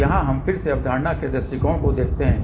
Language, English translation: Hindi, So, here again let us see the concept point of view